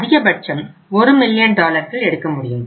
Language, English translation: Tamil, Maximum they can withdraw is 1 million dollars